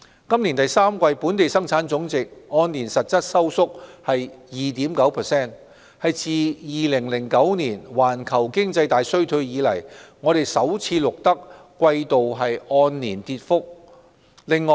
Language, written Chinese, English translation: Cantonese, 今年第三季本地生產總值按年實質收縮 2.9%， 是自2009年環球經濟大衰退以來首次錄得季度按年跌幅。, In the third quarter of this year GDP contracted by 2.9 % year - on - year in real terms marking the first year - on - year contraction for an individual quarter since the Great Recession of 2009